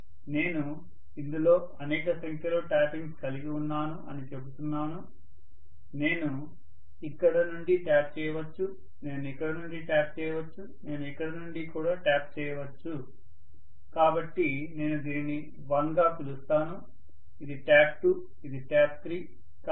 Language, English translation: Telugu, So I am calling it as I have got multiple number of taps, I may tap it from here, I may tap it from here, I may tap it from here, so I can call this as may be 1, this is tap 2, this is tap 3